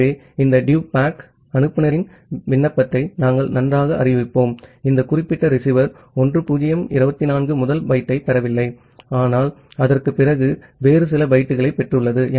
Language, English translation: Tamil, So, this DUPACK, we will inform the sender application that well ah; it has this particular receiver has not received the byte starting from 1024, but it has received certain other bytes after that